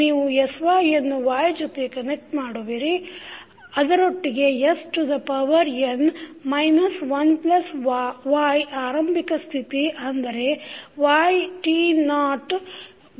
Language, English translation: Kannada, You are connecting with sy is connected with y with s to the power n minus1 plus the initial condition for y that is y t naught by s